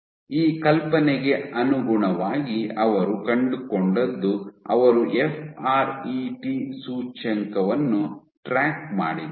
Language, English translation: Kannada, So, consistent with this idea what they found was the when they tracked the FRET index